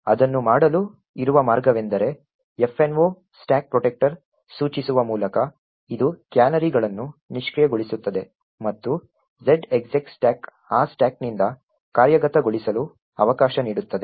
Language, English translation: Kannada, The way to do it is by specifying minus f no stack protector which would disable canaries and minus z execute stack which would permit execution from that stack